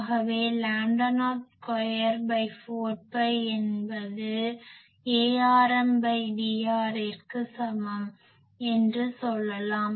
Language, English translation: Tamil, So, we can say that lambda not square by 4 pi is equal to A rm by D r